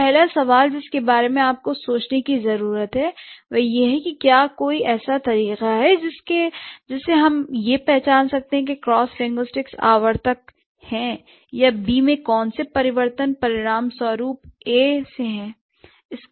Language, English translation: Hindi, So, the first question that you need to think about is that is there any way by which we can identify what are the cross linguistic recurrent or what are the changes that A has which results in B